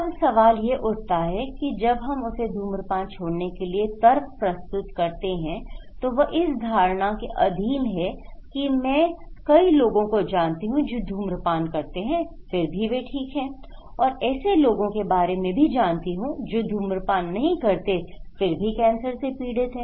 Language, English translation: Hindi, Now, the question is when we are communicating hard to quit smoking, she is under the impression that okay I know many people who are smoking but they are fine but I know many people who are not smoker but they are affected by cancer